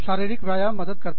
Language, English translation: Hindi, Physical exercise helps